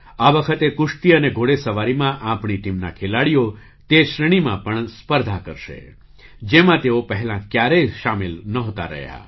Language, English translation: Gujarati, This time, members of our team will compete in wrestling and horse riding in those categories as well, in which they had never participated before